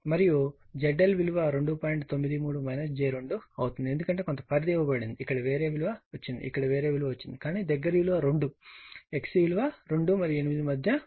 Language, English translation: Telugu, 93 minus j 2, because some range is given, here you got something, here you got something, but closest value is 2 x C in between 2 and 8 right